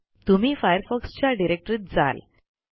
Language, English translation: Marathi, This will take you to the Firefox directory